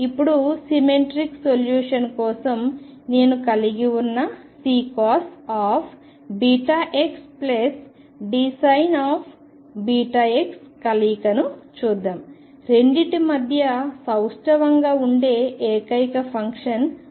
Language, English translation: Telugu, Now, let us look at the combination I have C cosine of beta x plus D sin of beta x for symmetric solution the only function that is symmetric between the two is cosine